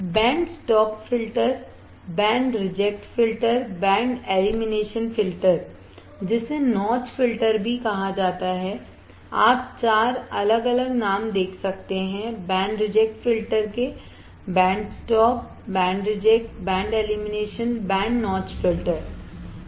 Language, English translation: Hindi, Band stop filter, band reject filter, band elimination filter also called notch filter you see four different names for band reject filter, band stop, band reject, band elimination, band notch filter alright